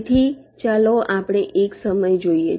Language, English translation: Gujarati, so lets look at one of the time